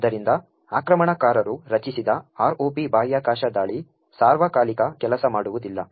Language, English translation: Kannada, Therefore, the ROP space attack, which the attacker has created will not work all the time